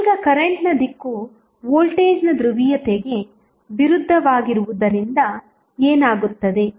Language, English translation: Kannada, Now, since the direction of current is opposite of the polarity of the voltage so what will happen